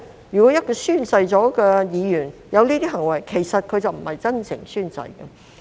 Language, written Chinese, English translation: Cantonese, 如果一名已宣誓的議員有這些行為，其實已不是真誠宣誓。, If a Member who has taken the oath committed these acts he or she has actually not taken the oath sincerely